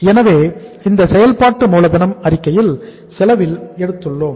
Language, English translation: Tamil, So we have taken in this working capital statement at cost